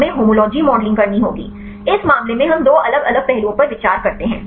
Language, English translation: Hindi, We have to do homology modeling; in this case we consider two different aspects